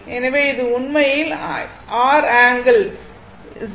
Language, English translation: Tamil, So, this is actually R angle 0